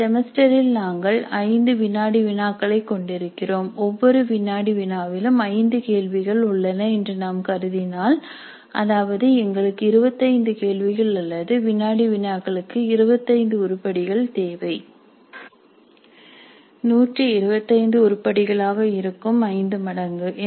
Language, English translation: Tamil, So, if you assume that in a semester we are having 5 quizzes, 5 quizzes in the semester and each quiz has 5 questions, that means that totally we need 25 questions or 25 items for quizzes